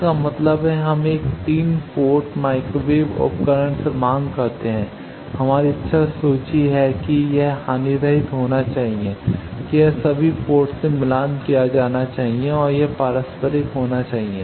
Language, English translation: Hindi, That means, we demand from a 3 port microwave device, our wish list that it should be lossless, it should be matched that all the ports, and it should be reciprocal